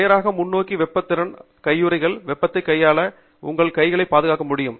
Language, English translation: Tamil, Straight forward thermal capability gloves are there which can handle fair bit of heat and protect your hands from the heat